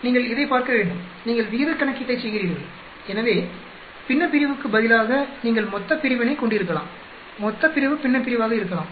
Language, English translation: Tamil, You need to see this you are doing ratio calculation, so instead of numerator you can have denominator, denominator can be numerator